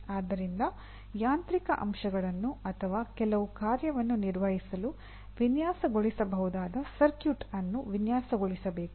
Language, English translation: Kannada, So you can say a mechanical component should be designed or a circuit that can be designed to perform some function, that part can be done